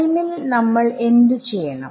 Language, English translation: Malayalam, What about in time what should we do